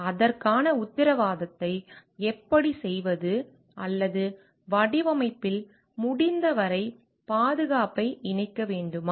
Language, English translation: Tamil, How do we make a guarantee for it or should we incorporate as much as safety as possible in the design